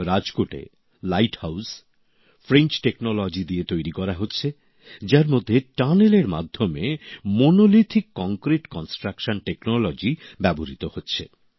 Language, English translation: Bengali, In Rajkot, the Light House is being made with French Technology in which through a tunnel Monolithic Concrete construction technology is being used